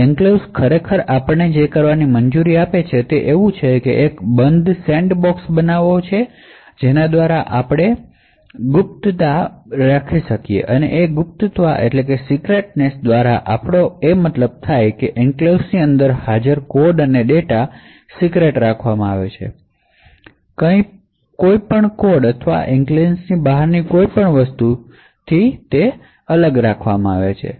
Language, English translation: Gujarati, So what the enclave actually permits us to do is that it would it is able to create a closed sandbox through which you could get confidentiality and integrity so what we mean by confidentiality is that the code and data present inside the enclave is kept confidential with respect to anything or any code or anything else outside the enclave